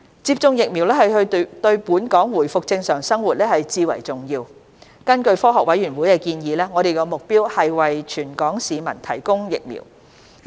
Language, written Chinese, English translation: Cantonese, 接種疫苗對本港回復正常生活至為重要，根據科學委員會的建議，我們的目標是為全港市民提供疫苗。, Administration of vaccines is key to the resumption of normal life for Hong Kong . Having regard to the suggestion of the Scientific Committees our goal is to provide vaccines for the entire Hong Kong population